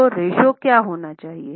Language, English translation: Hindi, So, what should be the ratio